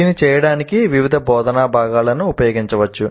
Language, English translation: Telugu, And to do this various instructional components can be used